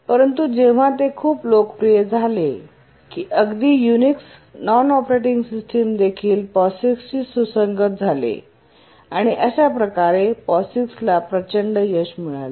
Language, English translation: Marathi, But then it became so popular that even the non unix operating system also became compatible to the POGICs